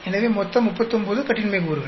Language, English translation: Tamil, So, totally 39 degrees of freedom